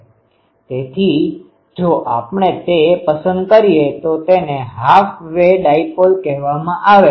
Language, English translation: Gujarati, So, if we choose that then it is called a half way dipole